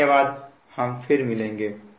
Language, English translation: Hindi, thank you, we will be back